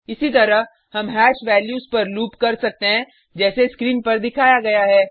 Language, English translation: Hindi, Similarly, we can loop over hash values as shown on the screen